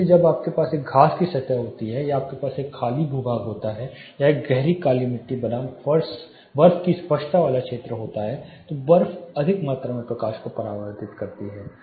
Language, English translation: Hindi, So, when you grass surface or you have an empty terrain a dark black soil versus a snow clarity area snow would reflect more amount of light